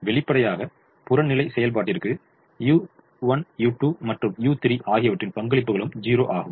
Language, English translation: Tamil, obviously the contributions of u one, u two and u three to the objective function is also zero